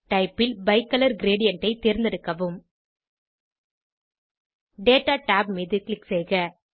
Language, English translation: Tamil, In the Type scroller select Bicolor gradient Click on Data tab